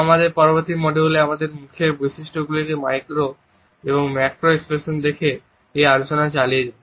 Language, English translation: Bengali, In our next module we would continue this discussion by looking at micro and macro expressions on our facial features